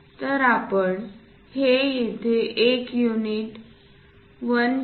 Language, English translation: Marathi, So, that is what we are showing here as 1 unit 1